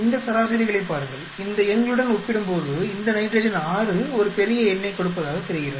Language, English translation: Tamil, Look at these averages this nitrogen 6 seem to be giving a larger number when compared to these numbers